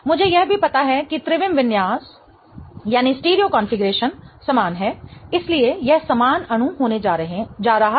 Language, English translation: Hindi, I also know that the stereo configuration is the same so it is going to be identical molecules